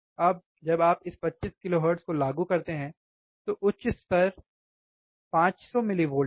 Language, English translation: Hindi, Now this when you apply this 25 kilohertz, the high level is 500 millivolts